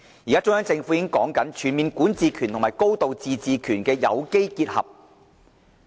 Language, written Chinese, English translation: Cantonese, 現在，中央政府已經在述說"全面管治權"和"高度自治"的有機結合。, The Central Government is now talking about the organic combination of overall jurisdiction and a high degree of autonomy